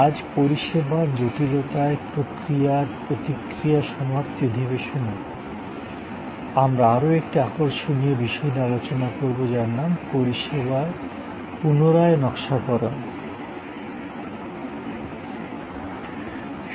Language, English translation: Bengali, Today, in the concluding section of this process responds to service complexity, we will discuss another interesting topic which is the redesigning services